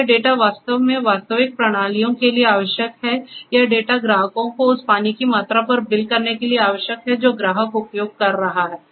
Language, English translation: Hindi, And this data is required to actually in real systems this data is required to bill the customers on the amount of water that the customer is using